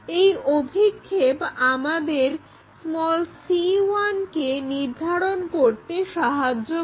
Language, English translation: Bengali, So, that projection determines our c 1